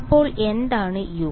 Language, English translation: Malayalam, So what is u